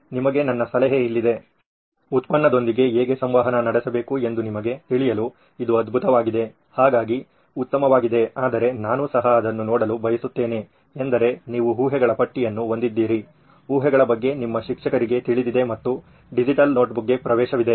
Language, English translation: Kannada, So here is my suggestion to you, this is great for you to get to know how to interact with a product, so that way it is nice but what I would like you to also see is that you had a list of assumptions, assumptions that you had made about you know the teacher has access to a digital notebook and all that